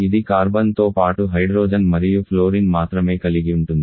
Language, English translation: Telugu, It is only hydrogen and fluorine along with carbon